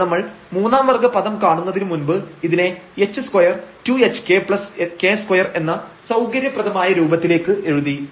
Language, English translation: Malayalam, So, this is before we compute the third order term we have written this little more a convenient form that this is like h square two h k plus k square